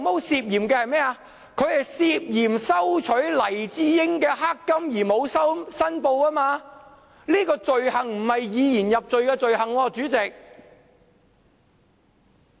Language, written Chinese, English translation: Cantonese, 是涉嫌收取黎智英的"黑金"而沒有申報，這種罪行並非以言入罪的罪行，主席。, The alleged failure to disclose his receipt of black money from Mr LAI Chee - ying . This is not a speech offence President